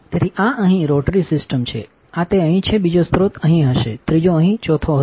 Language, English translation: Gujarati, So, this one here is a rotary system, this is one is here, second source will be here, third would be here fourth would be here